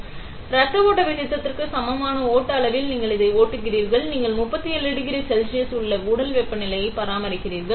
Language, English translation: Tamil, So, you are flowing it at the flow rate which is equivalent to the flow rate of blood; then you are maintaining the inside body temperature which is 37 degree Celsius